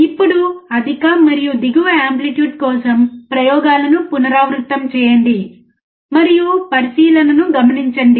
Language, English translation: Telugu, Now repeat the experiments for higher and lower amplitudes, and note down the observations